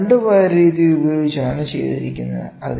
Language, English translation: Malayalam, So, this is done by 2 wire method